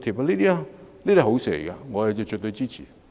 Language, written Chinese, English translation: Cantonese, 凡此種種，皆是好事，我絕對支持。, All these are good initiatives and I absolutely support them